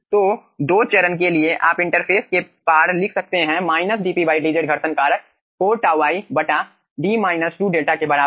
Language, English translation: Hindi, so for the 2 phase you can write down across the interface: minus del p del z friction factor is equals to 4 tau i by d minus 2 delta